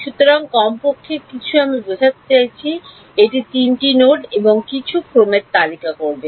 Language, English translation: Bengali, So, at least some I mean it will list of three nodes and some order